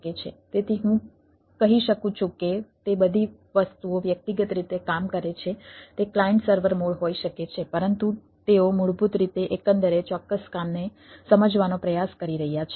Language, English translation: Gujarati, so i can say that all those things works in a individually may be clients sever more, but they are basically trying to realize a overall particular job